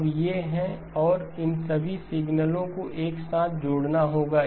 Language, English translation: Hindi, Now these are the and all of these signals have to be added together